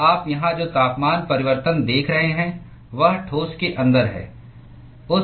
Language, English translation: Hindi, So the temperature change that you are seeing here is inside the solid